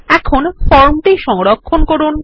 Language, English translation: Bengali, Let us now save the form